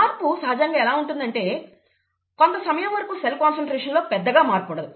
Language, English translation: Telugu, You have a certain time when there is not much of an increase in cell concentration